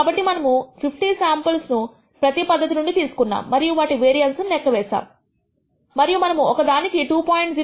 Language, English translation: Telugu, So, we have taken 50 samples from each process and computed their variances and found that one has a variability of 2